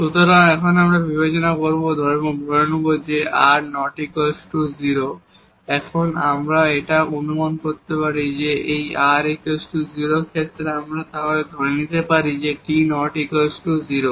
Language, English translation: Bengali, So, now we will consider that or we will assume that r is not equal to 0, here we can also assume that if this r is 0 in case then we can assume that t is not equal to 0